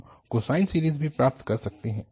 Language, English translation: Hindi, We could also get the cosine series